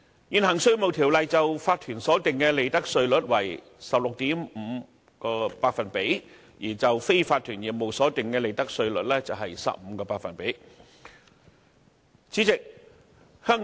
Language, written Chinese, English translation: Cantonese, 現行《稅務條例》就法團所定的利得稅率為 16.5%， 而就非法團業務所定的利得稅率則為 15%。, The present Inland Revenue Ordinance sets the profits tax rates at 16.5 % for corporations and 15 % for unincorporated businesses